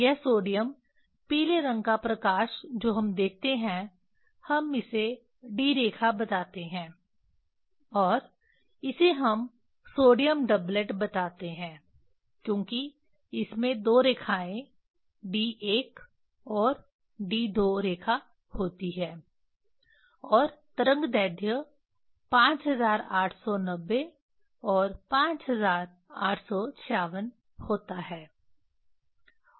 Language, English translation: Hindi, This sodium yellow color light we see that we tell D line and this we tell sodium doublet because it has two line D 1 and D 2 line and wave length is 5890 and 5896